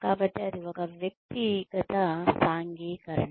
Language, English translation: Telugu, So, that is an individual socialization